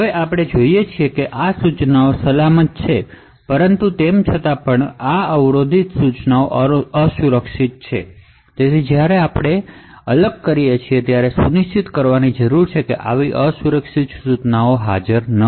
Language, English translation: Gujarati, Now what we see is that this AND instruction is safe but however these interrupt instruction is unsafe therefore while doing the disassembly we need to ensure that such unsafe instructions are not present